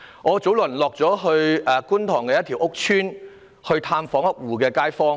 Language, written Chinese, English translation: Cantonese, 我早前到觀塘一個屋邨探訪一戶街坊。, Not long ago I visited a household living in a housing estate in Kwun Tong